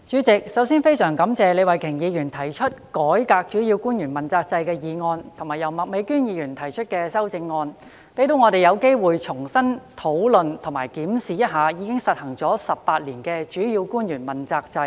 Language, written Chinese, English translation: Cantonese, 主席，首先，我十分感謝李慧琼議員提出"改革主要官員問責制"的議案及麥美娟議員提出修正案，讓我們有機會重新討論及檢視一下已實施18年的主要官員問責制。, First of all President I am very grateful to Ms Starry LEE for proposing the motion entitled Reforming the accountability system for principal officials and Ms Alice MAK for proposing the amendment . This allows us the opportunity to discuss and review afresh the accountability system for principal officials which has been implemented for 18 years